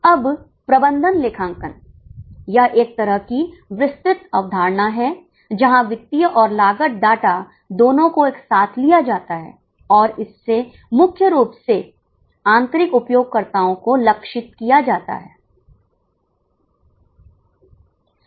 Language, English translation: Hindi, This is a kind of umbrella concept where both financial and cost data are taken together and it is mainly targeted to internal users